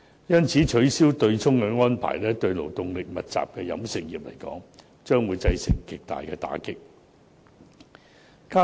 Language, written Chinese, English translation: Cantonese, 因此，取消對沖安排對勞動力密集的飲食業將會造成極大打擊。, For this reason the abolition of the offsetting mechanism will deal a very heavy blow to the labour - intensive catering industry